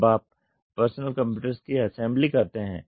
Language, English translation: Hindi, When you do assembly of personal computers